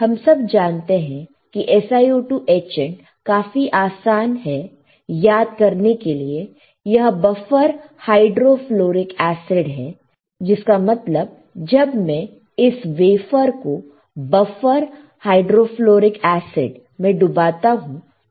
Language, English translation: Hindi, We all know SiO2 etchant very easy to remember buffer hydrofluoric acid; that means, when I when I dip this wafer in the buffer H in BHF, what will happen